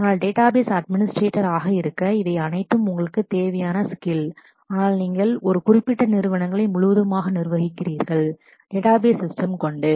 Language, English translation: Tamil, But to be a database administrator, you need all of these skills, but you are specifically administering a certain organizations enterprises whole database system